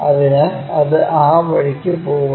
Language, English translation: Malayalam, So, it goes in that way